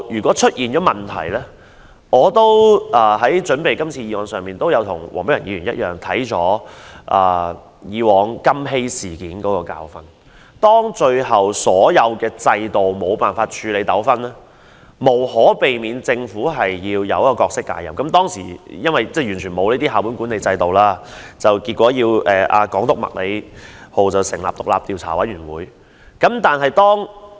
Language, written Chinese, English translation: Cantonese, 我為今次的議案作準備時，與黃碧雲議員一樣看過以往"金禧事件"的教訓，當最後所有制度都無法處理糾紛，政府無可避免要介入時，由於當時沒有校本管理制度，港督麥理浩要成立調查委員會調查。, When I was preparing for todays motion like Dr Helena WONG I also looked at the Precious Blood Golden Jubilee Secondary School incident that happened in the past to see what I could learn from it . When that incident happened all systems in place then were unable to resolve the conflicts and hence the Government could not avoid interfering in it . Without the school - based management in place then the Governor of Hong Kong Crawford Murray MACLEHOSE had to set up an investigation committee to look into the matter